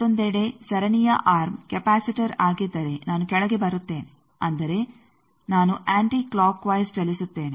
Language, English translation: Kannada, On the other hand, if the series arm is a capacitor then I will come down that means, I will move in the anti clockwise direction